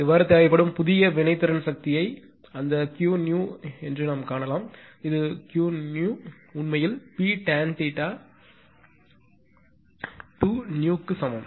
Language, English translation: Tamil, Now, thus the new required reactive power can be found as that Q new; this is actually Q new is equal to P tan theta2new